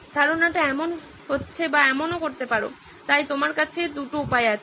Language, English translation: Bengali, This is one concept looks like or you can even…so there are two ways you can go